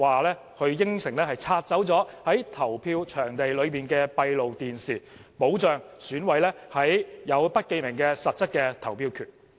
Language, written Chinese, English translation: Cantonese, 局長甚至承諾會拆除在投票場地的閉路電視，保障選委有實質的不記名投票權。, The Secretary even promised to remove the CCTVs installed at the polling stations to guarantee that all EC members would enjoy the substantive power of election by secret ballot